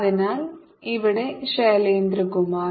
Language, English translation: Malayalam, so here is shailendra kumar